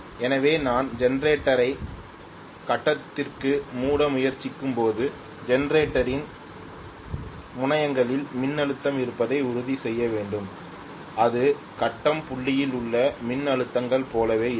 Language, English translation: Tamil, So the current will be infinitely large, so when I am trying to close the generator to the grid I have to make sure that the voltage is at the terminals of the generator will be exactly similar to what are the voltages at the grid point